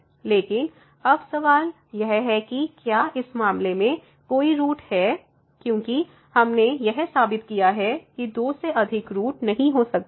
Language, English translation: Hindi, But, now the question is whether there is a root in this case, because we have just proved that there cannot be more than two roots